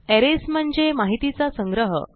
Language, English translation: Marathi, Arrays are a collection of data